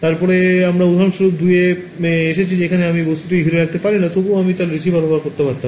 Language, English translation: Bengali, Then we came to example 2 where I could not surround the object, but still I could would more receivers